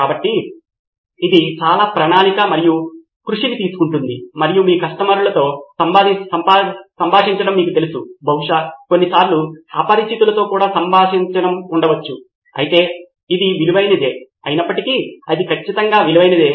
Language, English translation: Telugu, So this takes a lot of planning, effort and you know interacting with your customers, probably with sometimes even with strangers but it is worth it is while, its definitely worth it